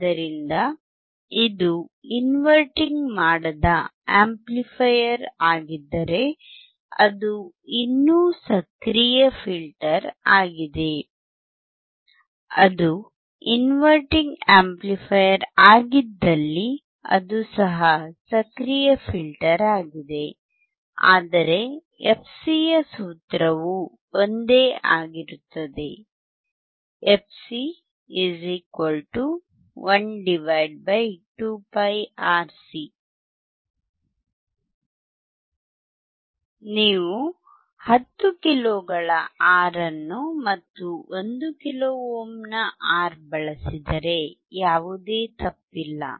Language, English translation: Kannada, So, if it is non inverting amplifier it is still active filter it is inverting amplifier is still an active filter, but the formula of fc remains same fc = 1 / make no mistake that if you use the R of 10 kilo ohm and R of 1 kilo ohm there is a huge change in your cut off frequency